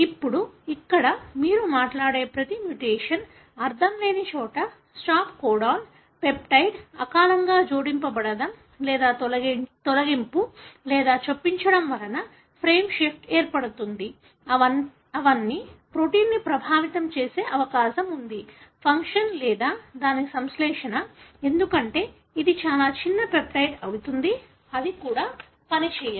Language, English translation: Telugu, Now, here each one of the mutation that you talk about, nonsense where there is a premature addition of stop codon, peptide is not being made or there is a frame shift either because of deletion or insertion, all of them likely to affect the protein function or even its synthesis, because it will be a very small peptide, it cannot even function